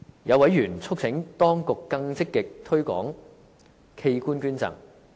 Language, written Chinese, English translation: Cantonese, 有委員促請當局更積極推廣器官捐贈。, Some members urge the authorities to promote organ donation in a more proactive fashion